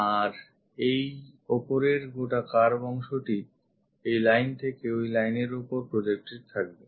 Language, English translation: Bengali, And this top one this entire curve projected onto this line on that line